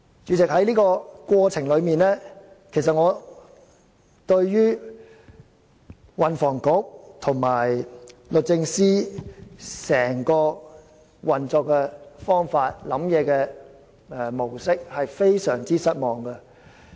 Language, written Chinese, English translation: Cantonese, 主席，在這個過程中，我對運輸及房屋局和律政司的整個運作方法及思想模式非常失望。, President I am utterly disappointed with the entire modus operandi and the mindset of the Transport and Housing Bureau and the Department of Justice DoJ in the process